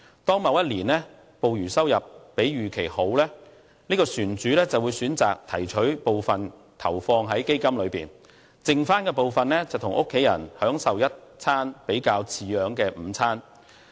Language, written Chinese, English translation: Cantonese, 當某一年的捕魚收入比預期好時，這船主便會選擇把部分盈餘投放在基金裏面，餘下部分則與家人享用一頓比較好的午餐。, In the years of good fishery returns the fisherman invests part of the return into the fishing funds and the family will enjoy a relatively sumptuous meal with the rest of the money